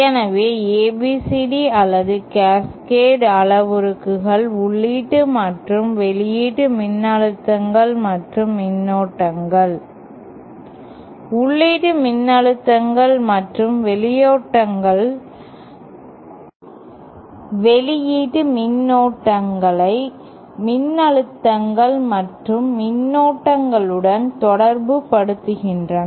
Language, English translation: Tamil, So, ABCD or Cascade parameters relate the input and output voltages and currents, input voltages and currents to the output voltages and currents